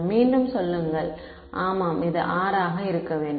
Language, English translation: Tamil, Say again yeah this should be R